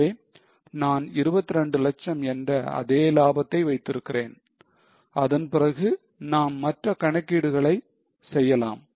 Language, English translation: Tamil, So, I have kept the same profit now, 22 lakhs, and then we can do other calculations